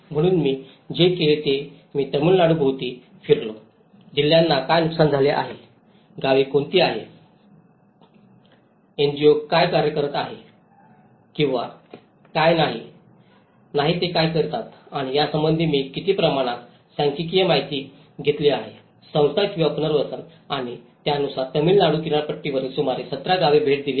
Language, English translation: Marathi, So, what I did was I travelled around Tamilnadu, I have taken a lot of statistical information of the damage statistics what districts have been affected, what are the villages, what are the NGOs working on, what approaches they are doing whether they are doing Institute or a relocation and accordingly have visited about 17 villages along the stretch of Tamilnadu coast